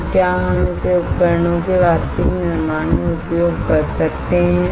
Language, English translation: Hindi, So, that we can use it in the actual fabrication of the devices alright